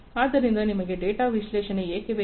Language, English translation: Kannada, So, why do you need data analytics